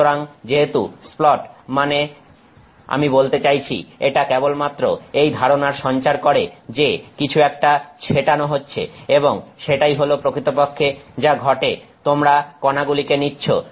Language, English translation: Bengali, So, as splat is, I mean it just conveys the idea that something splattered and that is really what is happening; you are taking a particle, you are taking a particle